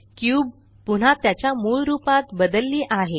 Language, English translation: Marathi, The cube changes back to its original form